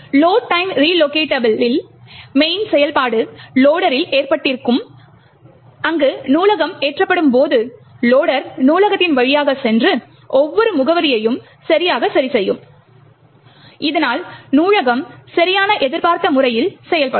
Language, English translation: Tamil, In the Load time relocatable the main functionality rests with the loader, where, when the library gets loaded, the loader would pass through the library and adjust each address properly, so that the library executes in the right expected manner